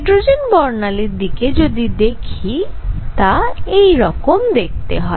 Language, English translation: Bengali, So, when you look at a hydrogen spectrum, this is what it is going to look like